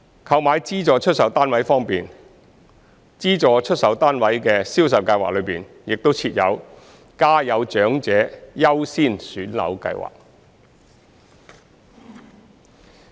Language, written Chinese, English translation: Cantonese, 購買資助出售單位方面，資助出售單位的銷售計劃中亦設有家有長者優先選樓計劃。, As regards the purchase of subsidized sale flats there is also the Priority Scheme for Families with Elderly Members among the subsidized sale schemes